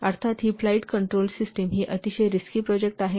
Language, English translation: Marathi, Of course, this is a flight control system, this is a very risky project